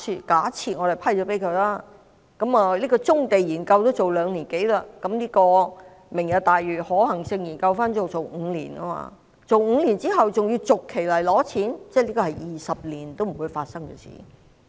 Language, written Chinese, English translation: Cantonese, 假設我們批准撥款，棕地研究也要做兩年多，"明日大嶼"的可行性研究便可能要做5年，而5年後還要每一期來申請撥款，這是20年都不會發生的事。, Assuming that we approve the funding and considering that even the study on brownfields will take more than two years the feasibility study on Lantau Tomorrow may take five years to complete and a further funding application is necessary for each phase five years later . This vision will not come to fruition in the next 20 years